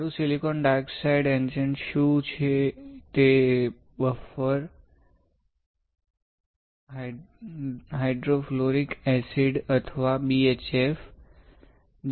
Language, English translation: Gujarati, Silicon dioxide etchant is buffer hydrofluoric acid or BHF